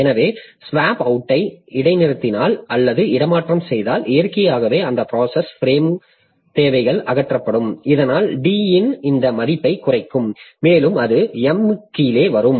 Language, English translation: Tamil, So, if you suspend or swap out, then naturally that processes frame requirements are are removed so that will reduce this value of D and possibly it will come below M